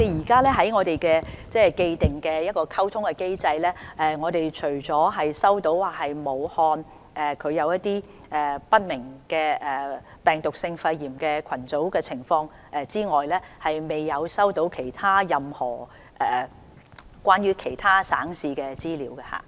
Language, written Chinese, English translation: Cantonese, 根據既定的通報機制，我們除了收到武漢出現一些不明原因的病毒性肺炎病例群組個案之外，未有收到任何關於其他省市的資料。, Under the established reporting mechanism we have not received any information about other provinces and municipalities apart from the cluster of viral pneumonia cases with unknown cause in Wuhan